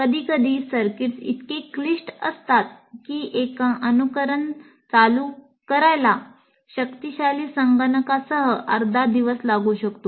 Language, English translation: Marathi, Sometimes the circuits are so complex, one simulation run may take a half a day, even with the powerful computer